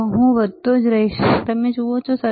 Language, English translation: Gujarati, If I keep on increasing, you see